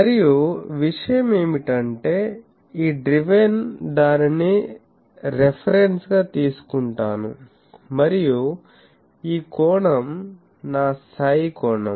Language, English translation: Telugu, And my thing is I take the, this driven 1 as a reference and this angle is my psi angle ok